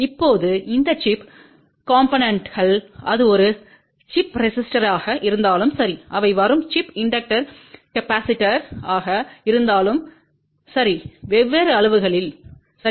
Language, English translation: Tamil, Now, these chip components whether it is a chip resistor or chip inductor capacitor they come in different sizes, ok